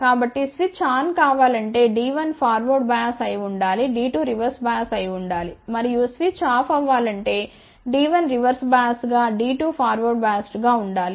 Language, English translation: Telugu, So, for the switch to be on D 1 should be forward biased D 2 should be reverse bias and for the switch to be off D 1 should be reverse bias D 2 should be forward bias